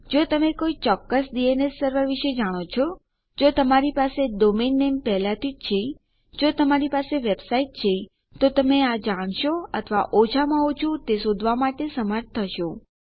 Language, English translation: Gujarati, If you know a specific DNS Server, if you have a domain name already, if you have a website you will know it or you will be able to find it, at least